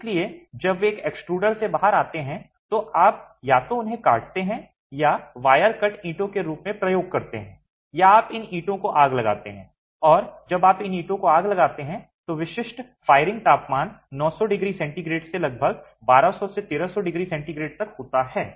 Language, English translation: Hindi, So, as they come out from an extruder, you either cut and use these as wire cut bricks or you fire these bricks and when you fire these bricks, typical firing temperatures are above 900 degrees centigrade to about 1,200,000, 300 degrees centigrade